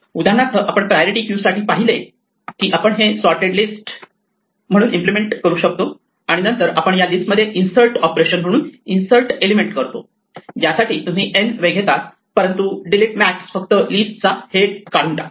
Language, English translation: Marathi, For instance we saw that for a priority queue we could actually implement it as a sorted list and then we could implement insert as an insert operation in a sorted list which you take order n time, but delete max would just remove the head of the list